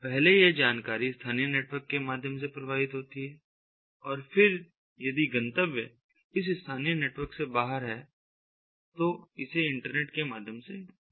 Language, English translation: Hindi, first, these information have to flow through the local network and then, if the destination intended destination is outside this local network, then it is sent through the internet